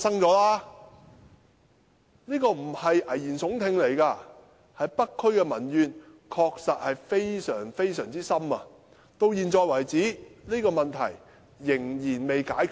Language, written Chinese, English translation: Cantonese, 這不是危言聳聽，北區確實民怨沸騰，到了現在，問題仍未解決。, I am not being an alarmist; there are indeed widespread public grievances in North District and the problem remains unsolved